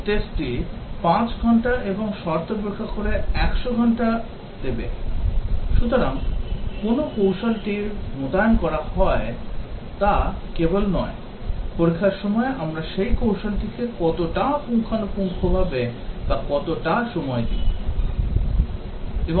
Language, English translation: Bengali, The equivalence test will give 5 hours and the condition testing 100 hours, so not only which strategy is to deploy, but how thoroughly or how much time we give to that strategy during testing